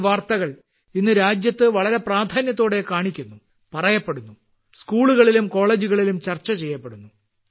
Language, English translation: Malayalam, And such news is shown prominently in the country today…is also conveyed and also discussed in schools and colleges